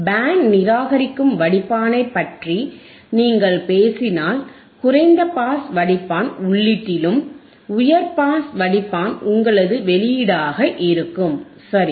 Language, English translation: Tamil, iIf you talk about band reject filter and, low pass filter is at the input and high pass filter is at the output right